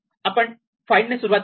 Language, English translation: Marathi, So, we start with find